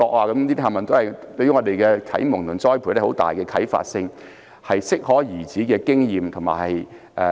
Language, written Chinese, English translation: Cantonese, 這些啟蒙和栽培對我們有很大的啟發性，都是適可而止的經驗。, Such enlightenment and training had been extremely inspirational to us; and such experiences had been kept at an acceptable level